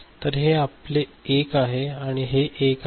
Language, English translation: Marathi, So, this is 1